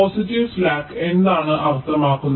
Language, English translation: Malayalam, what does a positive slack mean